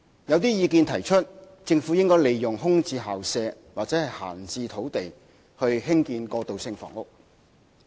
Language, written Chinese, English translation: Cantonese, 有些人認為，政府應利用空置校舍或閒置土地興建過渡性房屋。, Some people think that the Government should make use of vacant school premises or idle sites to provide transitional housing